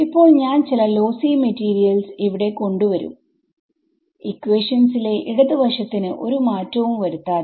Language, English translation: Malayalam, So, the fact that I have now introduced some lossy materials here does not alter the left hand side of the equation right